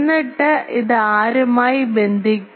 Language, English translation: Malayalam, And then we it will be connected to whom